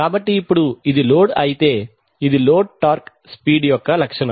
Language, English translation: Telugu, So now if this load which is this is the load torque speed characteristic